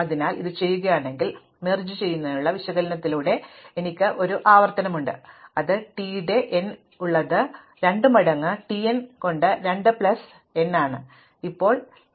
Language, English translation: Malayalam, So, if I do this, then by the analysis as for merge sort, I have a recurrence which is t of n is 2 times t n by 2 plus n and we know this is order n log n